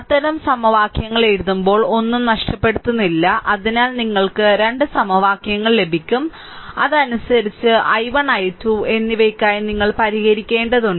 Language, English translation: Malayalam, When I writing such equations, hope I am not missing anything right, so two equations you will get and accordingly from that you have to solve for i 1 and i 2 right